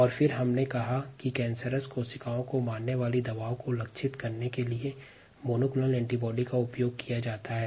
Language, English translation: Hindi, and then we said that monoclonal antibodies are used to target the drugs that kill cancerous cells more directly to the cancer cells